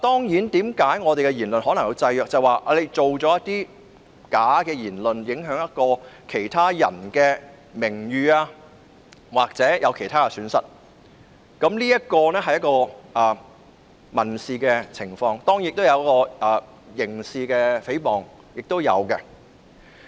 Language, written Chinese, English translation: Cantonese, 因為有人可能會製造虛假的言論，影響其他人的名譽或導致其他損失，屬民事訴訟的範疇，而當然亦有涉及刑事成分的誹謗。, It is because some people may fabricate false remarks to undermine others reputation or cause other losses which is within the scope of civil actions . Of course some cases may involve defamation of criminal nature . Further restrictions beyond this should not be imposed